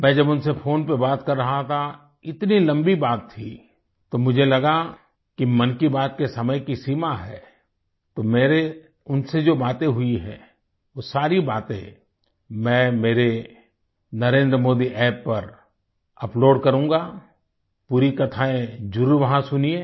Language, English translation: Hindi, When I was talking to them on the phone, it was such a lengthy conversation and then I felt that there is a time limit for 'Mann Ki Baat', so I've decided to upload all the things that we spoke about on my NarendraModiAppyou can definitely listen the entire stories on the app